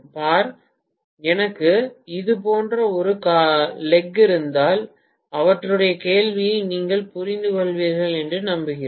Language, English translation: Tamil, See, if I just have one leg like this, I hope you understand his question